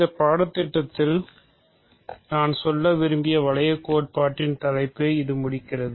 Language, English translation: Tamil, So, that completes the topic of ring theory that I wanted to cover in this course